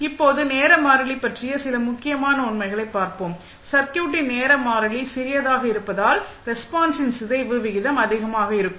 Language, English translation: Tamil, Now, let see some important facts about the time constant, smaller the time constant of the circuit faster would be rate of decay of the response